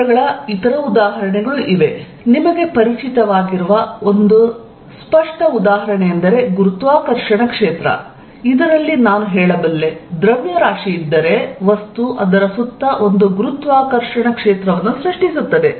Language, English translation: Kannada, Other examples of fields, a very obvious example that you are familiar with is gravitational field, in which I can say that, if there is a mass, it creates a gravitational field around it